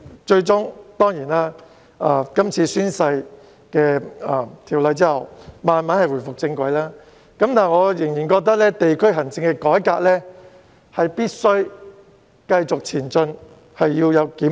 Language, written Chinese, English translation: Cantonese, 最終，在有關的宣誓條例通過後，區議會逐漸回復正軌，但我仍然覺得地區行政改革必須繼續推行和需要檢討。, Thanks to the passage of the oath - taking ordinance DCs could gradually get back on track in the end but I still think that district administration is in need of ongoing reform and review